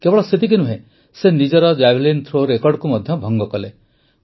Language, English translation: Odia, Not only that, He also broke the record of his own Javelin Throw